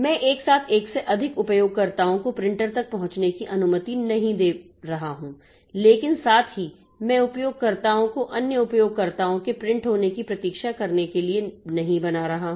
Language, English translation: Hindi, So, that I am simultaneously not allowing more than one user to access the printer but at the same time I am not making the users to wait for other users printing to be over